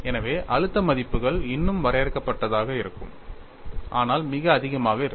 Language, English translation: Tamil, So, the stress values will still be finite, but very high